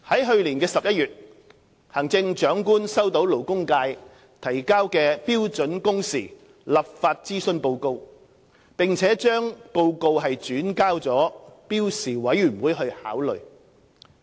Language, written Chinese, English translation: Cantonese, 去年11月，行政長官收到勞工界提交的《標準工時立法諮詢報告》，並將該報告轉交標時委員會考慮。, In November 2016 the Chief Executive received the Consultation Report on Legislating for Standard Working Hours from the labour sector and passed it to SWHC for consideration